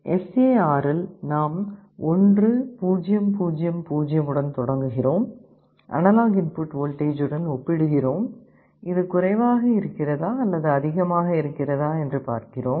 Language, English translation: Tamil, In the SAR we start with 1 0 0 0, we compare with the analog input voltage whether it is less than or greater than